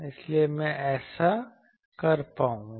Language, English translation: Hindi, So, I will be able to do that